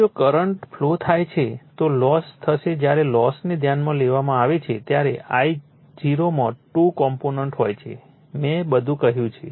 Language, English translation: Gujarati, Now, if current flows then losses will occur when losses are considered I0 has to 2 components I told you everything